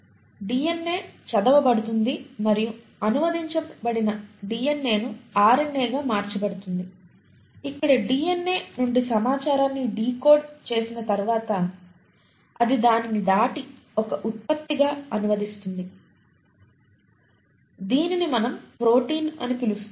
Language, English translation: Telugu, So we did talk about the central thematic that is DNA is read by and translated DNA is converted to RNA where kind of decodes the information from DNA and having decoded it, it then passes it on and translates it into a product which is what we call as the protein